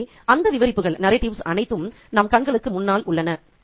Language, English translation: Tamil, So, we have all those narratives in front of her eyes